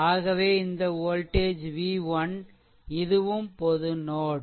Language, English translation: Tamil, So, this voltage actually v 1 and this is also a common node